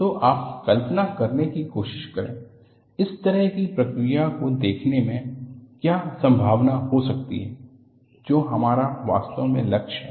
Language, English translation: Hindi, So, you are trying to visualize, what could be the possibility in looking at this kind of a process that is what we are really aiming at